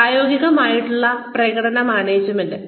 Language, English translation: Malayalam, Performance management in practice